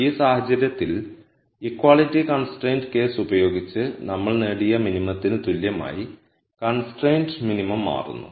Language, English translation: Malayalam, So, this case the constrained minimum becomes the same as the minimum that we achieved with the equality constraint case